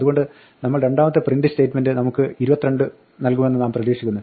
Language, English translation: Malayalam, So, we would except the second print statement to give us 22